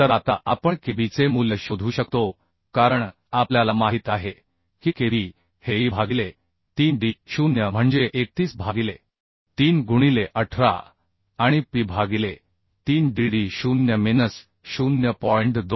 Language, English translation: Marathi, 6 means 31 mm right So now we can find out the value of kb as we know kb is the e by 3d0 that means 31 by 3 into 18 and p by 3 dd 0minus 0